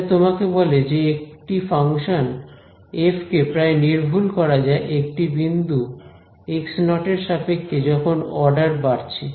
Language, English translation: Bengali, So, this tells you that a function f can be approximated about a point x naught in terms of increasing orders